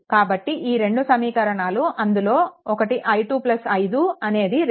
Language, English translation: Telugu, So, these 2 equation this is one equation i 2 plus 5 is equal to 2